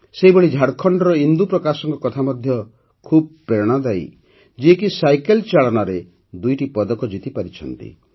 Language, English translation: Odia, Another such inspiring story is that of Indu Prakash of Jharkhand, who has won 2 medals in cycling